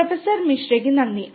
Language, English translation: Malayalam, Thank you Professor Misra